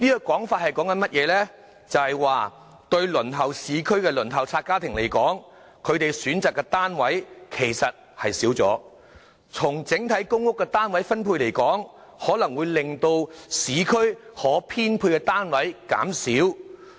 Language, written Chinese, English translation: Cantonese, 換言之，對輪候市區單位的輪候冊家庭來說，他們可選擇的單位其實減少了；從整體公屋單位分布來看，可能會令市區可編配的單位減少。, In other words the number of units available to households waiting for units in the urban areas has actually decreased . From the perspective of overall PRH distribution the number of units available for allocation in the urban areas may be reduced